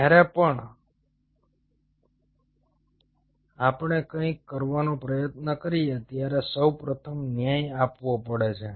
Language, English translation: Gujarati, whenever we try to do something, one has to first of all justify